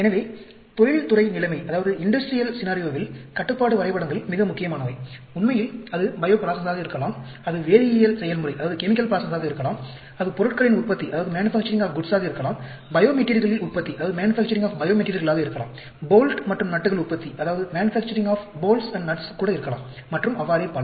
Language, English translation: Tamil, So, Control Charts in very, very important in industrial scenario, be it bio process, be it chemical process, be it manufacturing of goods, manufacturing of bio materials, even manufacturing of bolts and nuts and so on, actually